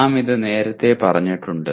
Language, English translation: Malayalam, Now, we have stated this earlier